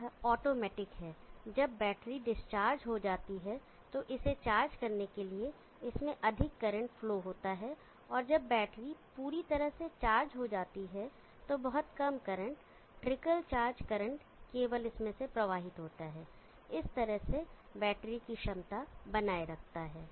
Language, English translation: Hindi, It is automatic when the battery is discharged more current flows through it to charge it up and the battery is fully charged very less current optical charge current only flows through it and there by maintains the battery potation